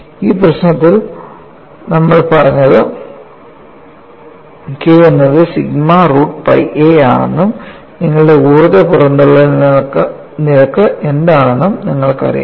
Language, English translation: Malayalam, You know, we have said for this problem K is sigma root by a and you also know what is your energy release rate